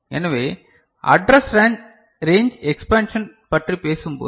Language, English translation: Tamil, So, when we talk about address range expansion